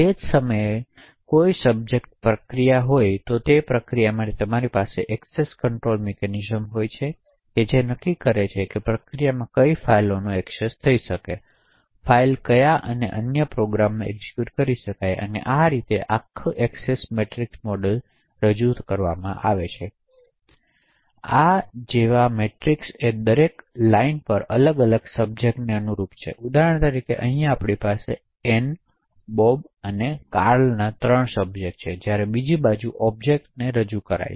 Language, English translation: Gujarati, At the same time a subject can be a process and you could have access control mechanisms for that particular process to determine what files that process can access, what other programs that file can execute and so on, so the entire Access Matrix model is represented as a matrix like this, on each row corresponds to a different subject for example over here we have three subjects Ann, Bob and Carl, while the columns on the other hand represent objects